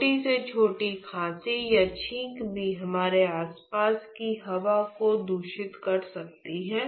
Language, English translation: Hindi, So, even smallest cough or sneeze could contaminate the air which is surrounding us